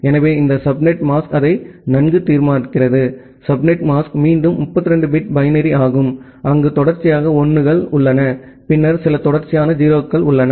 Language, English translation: Tamil, So, this subnet mask determines that well, the subnet mask is again a 32 bit binary, where there are few consecutive 1’s and then few consecutive 0’s